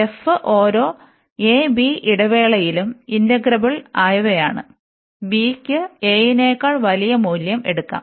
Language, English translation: Malayalam, And they are such that, that f is integrable on each interval, so a, b and b can take any value greater than a